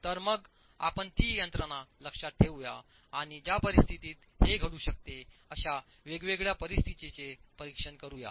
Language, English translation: Marathi, So let's keep that mechanism in mind and examine different situations under which this can actually happen